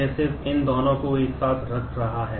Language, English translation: Hindi, This is just putting these two together